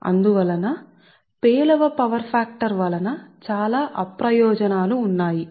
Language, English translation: Telugu, therefore power factor is an poor power factor has lot of disadvantages